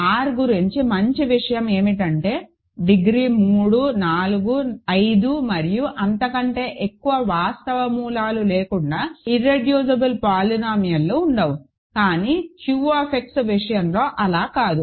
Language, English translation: Telugu, What was nice about R was there cannot be irreducible polynomials without real roots of degree 3, 4, 4, 5 and higher, but that is not the case for Q X